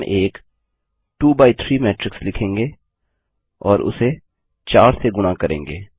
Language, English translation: Hindi, We will write a 2 by 3 matrix and multiply it by 4